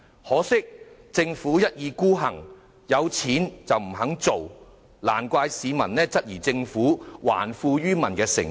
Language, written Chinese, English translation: Cantonese, 可是，政府一意孤行，即使有盈餘，卻不願意這樣做，難怪市民質疑政府還富於民的誠意。, Nevertheless the Government has obstinately turned down our request despite its abundant surplus . No wonder the public doubt the Governments sincerity in returning wealth to them